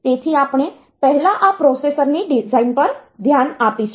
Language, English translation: Gujarati, So, we will first look into this processor design